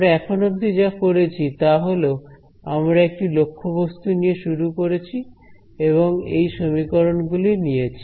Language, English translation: Bengali, What have we done we started with an object over here and we started with these sets of equations